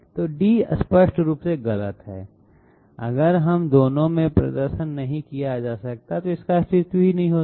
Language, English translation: Hindi, So D is obviously wrong, if it cannot be performed in both it would not have existed